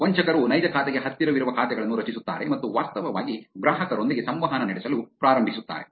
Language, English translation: Kannada, The fraudsters create accounts which are very close to the real account and actually start interacting with the customer